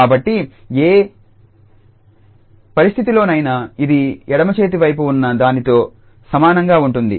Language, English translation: Telugu, So, in either situation if this will be equal to the left hand side